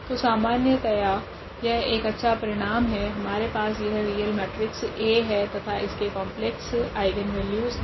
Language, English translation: Hindi, So, that is a nice result here in general we have this then A is a real matrix and has complex eigenvalues